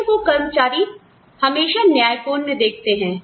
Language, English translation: Hindi, Pay that, employees, generally view as equitable